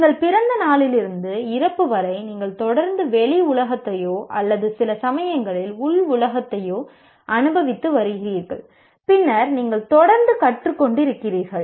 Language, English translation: Tamil, Right from the day you are born to the death, you are continuously experiencing the external world or sometimes internal world as well and then you are continuously learning